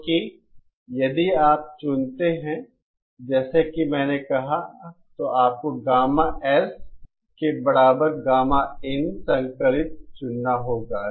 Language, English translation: Hindi, Because if you choose as I said, you have to choose gamma S is equal to gamma in conjugate